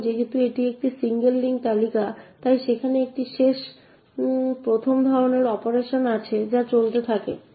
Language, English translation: Bengali, Now since it is a single link list so there is a last in first out kind of operation which goes on